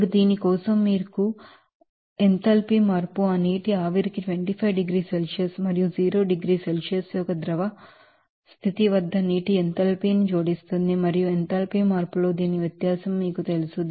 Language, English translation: Telugu, Now for this what will be the enthalpy change that enthalpy add that 25 degrees Celsius for the vapour of that water and enthalpy of water at that liquid state of zero degree Celsius and you know difference of that in enthalpy change